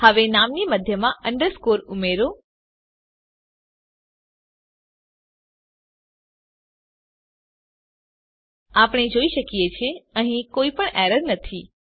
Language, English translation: Gujarati, Now add an underscore in the middle of the name we see that there is no error